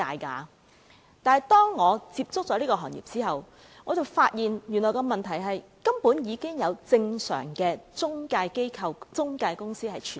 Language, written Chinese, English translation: Cantonese, 不過，當我接觸這個行業後，我便發現原來已有正常的中介機構、中介公司存在。, However since I started to come into contact with the industry I discovered that many normal intermediary institutions and intermediary companies are in operation